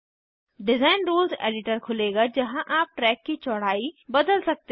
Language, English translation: Hindi, Design Rules Editor will open where you can change the track width